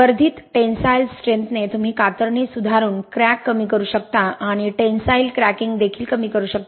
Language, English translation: Marathi, With enhanced tensile strength you can reduce the shear cracking by improving the shear strength and also the tensile cracking is reduced